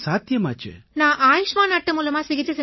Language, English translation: Tamil, So you had got an Ayushman card